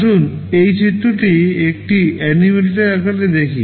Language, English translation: Bengali, Let us look at this diagram in an animated form